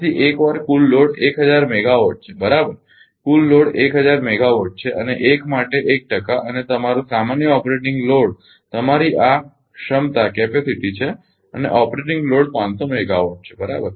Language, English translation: Gujarati, So, 1 that total load is 1000 megawatt right total load is 1000 megawatt and 1 percent for 1 and your normal operating load is your this capacity and operating load is 500 megawatt right